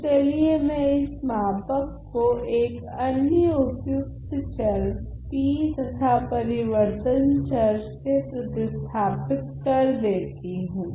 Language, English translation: Hindi, So, let me substitute another variable t by this scaled and shifted variable